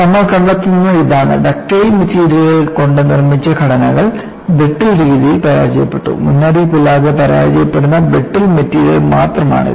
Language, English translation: Malayalam, And what you find is structures made of ductile materials failed in a brittle fashion;it is only brittle material that will fail without warning